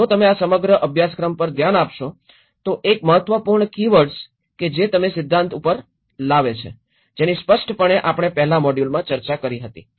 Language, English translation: Gujarati, And if you look at the whole course one of the important keywords which you come up the theory, which we obviously discussed in the first modules